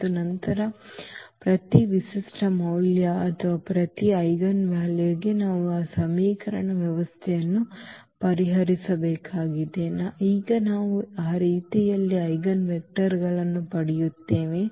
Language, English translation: Kannada, And, then for each characteristic value or each eigenvalue we have to solve that system of equation that now we will get in that way the eigenvectors